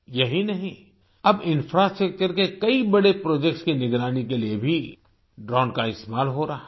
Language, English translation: Hindi, Not just that, drones are also being used to monitor many big infrastructure projects